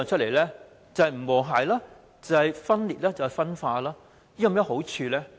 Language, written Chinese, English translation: Cantonese, 便是不和諧、分裂和分化，這樣做有何好處？, The consequence is disharmony social division and dissension . What good will this bring?